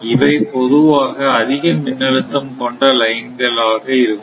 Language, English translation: Tamil, So, these are actually high voltage line right